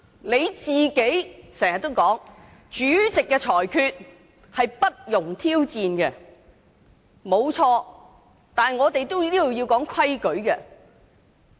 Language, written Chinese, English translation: Cantonese, 你經常說主席的裁決不容挑戰，這沒有錯，但這裏也有規矩。, You often say that the rulings of the President are not subject to challenge . That is right but there are rules in place here